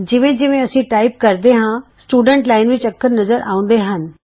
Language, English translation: Punjabi, As we type, the characters are displayed in the Students Line